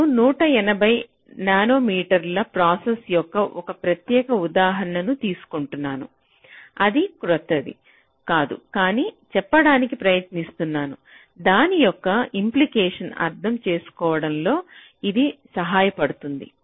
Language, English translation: Telugu, so i am taking a means, a particular example of a one eighty nanometer process, which is again not very new, but this will help us in understanding the implications, what i am trying to say